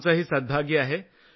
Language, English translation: Marathi, Am fortunate too